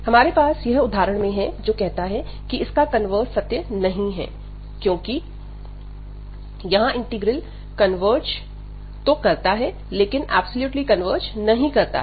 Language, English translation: Hindi, So, we have this example, which says that the converse is not true, because here we have the convergence of the integral, but the integral does not converge absolutely